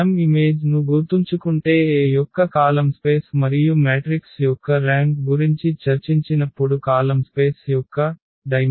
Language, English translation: Telugu, So, if we remember the image A is the column space of A and then the dimension of the column space when we have discussed the rank of the matrix